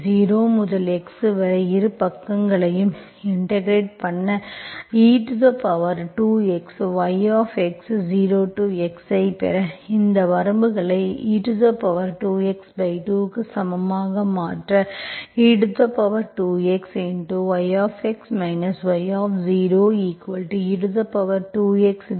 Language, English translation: Tamil, Integrate both sides from 0 to x, so what you get, so you will get e power 2x yx, you substitute these limits equal to e power 2x by 2, substitute this